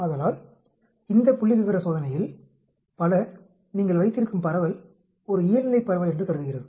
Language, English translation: Tamil, So many of this statistical test assumes that the distribution which you are having is a Normal distribution